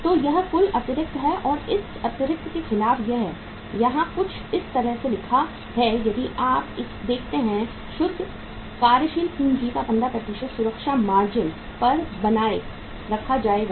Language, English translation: Hindi, So this is the total excess and against this excess it is written here something like this if you look at uh a safety margin of 15% of net working capital will be maintained